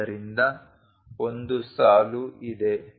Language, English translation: Kannada, So, there is a line